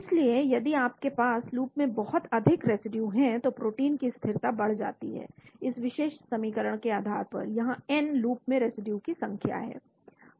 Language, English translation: Hindi, So if you have a lot of residue in the loops the stability of the protein gets increased based on this particular equation, here n is the number of residues in the loop